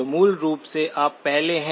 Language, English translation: Hindi, So basically you are before